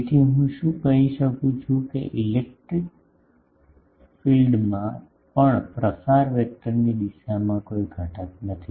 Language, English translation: Gujarati, So, can I say that the electric field also does not have any component in the direction of the propagation vector